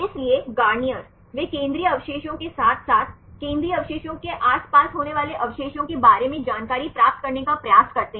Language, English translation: Hindi, So, Garnier, they try to get the information for the central residues as well as the residues which are occurring nearby the central residue